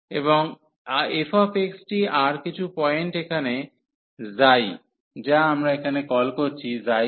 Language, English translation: Bengali, And f x and some point here psi, which we are calling here psi 1